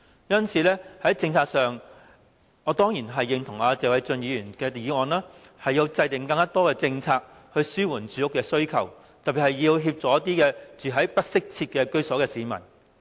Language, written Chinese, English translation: Cantonese, 因此，我當然認同謝偉俊議員提出的議案，認為政府應制訂更多政策，紓緩市民的住屋需求，特別是要協助一些住在不適切居所的市民。, Therefore I certainly agree with Mr Paul TSE who states in his motion that the Government should formulate more policies to address the publics housing needs and in particular help those who are living in undesirable dwellings